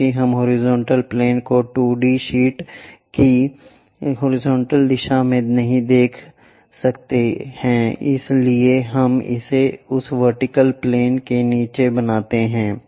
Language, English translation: Hindi, Because we cannot show horizontal plane in the horizontal direction of a 2D sheet we make it below that vertical plane